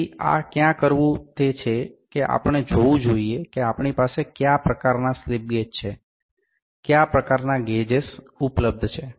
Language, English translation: Gujarati, So, where to do is do this is that, we need to see, what kind of slip gauges, what kind of gauges are available with us